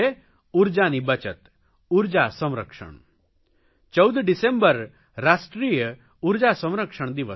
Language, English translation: Gujarati, 14th December is "National Energy Conservation day"